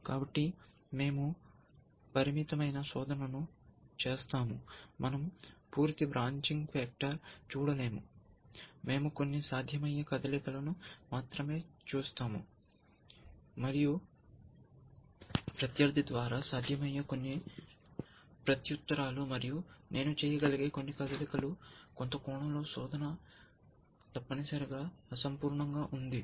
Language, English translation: Telugu, So, we do a limited search, in the sense that we do not look at the complete branching factor, we only look at the few possible moves, and a few possible replies by the opponent, and a few possible moves that I can make the, and in some sense of a search is incomplete essentially